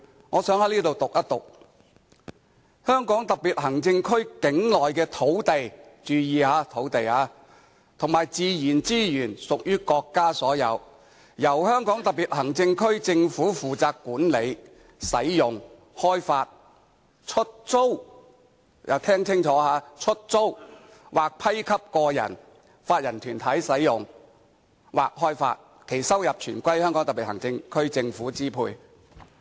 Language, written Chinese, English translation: Cantonese, 我想在此讀出第七條："香港特別行政區境內的土地"——注意，是土地——"和自然資源屬於國家所有，由香港特別行政區政府負責管理、使用、開發、出租"——聽清楚——"出租或批給個人、法人或團體使用或開發，其收入全歸香港特別行政區政府支配。, The Government of the Hong Kong Special Administrative Region shall be responsible for their management use and development and for their lease or grant to individuals legal persons or organizations for use or development . The revenues derived therefrom shall be exclusively at the disposal of the government of the Region . I suggest them to listen carefully and pay attention to the words land and lease